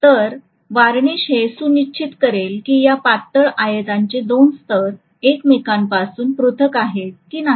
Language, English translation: Marathi, So the varnish will ensure that the two layers of these thin rectangles are insulated from each other